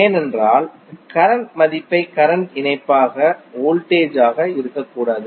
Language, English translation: Tamil, Because you’re putting value of current as a current conjugate not be voltage as a conjugate